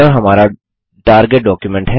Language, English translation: Hindi, This is our target document